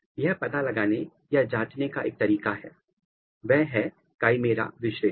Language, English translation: Hindi, Another way of detecting or or checking this is chimera analysis